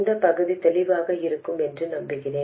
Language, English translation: Tamil, I hope this part is clear